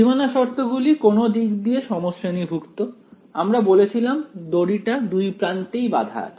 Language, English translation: Bengali, The boundary conditions were also homogeneous in some sense we said the string is clamped at both ends